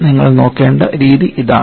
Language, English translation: Malayalam, So, we have to look that